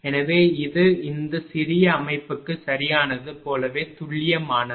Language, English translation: Tamil, So, it is it is as accurate as anything right for this small system